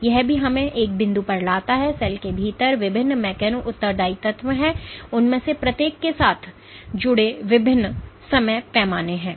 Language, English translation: Hindi, So, this also brings us one point that there are different mechano responsive elements within the cell and there are diverse timescale associated with each of them